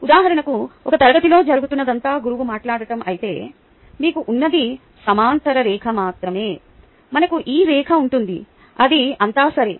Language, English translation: Telugu, for example, if in a class all that is happening is teacher is talking, then what you will have is just the horizontal line